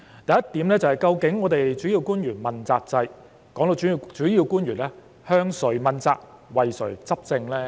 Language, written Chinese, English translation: Cantonese, 第一點，究竟主要官員問責制的主要官員，是向誰問責及為誰執政呢？, First to whom are the principal officials in the accountability system answerable and for whom they govern?